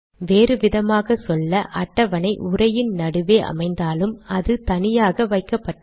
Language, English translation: Tamil, In other words, even though the table appear in between some text, it has been put separately